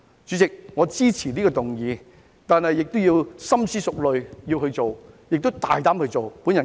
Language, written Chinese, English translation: Cantonese, 主席，我支持這項議案，但亦要深思熟慮、大膽地付諸實行。, President I support this motion but it should be carefully thought over and boldly put into action